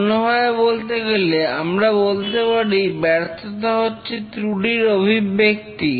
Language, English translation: Bengali, In other words, we say that a failure is a manifestation of a fault